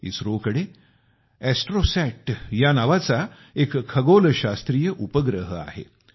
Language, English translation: Marathi, ISRO has an astronomical satellite called ASTROSAT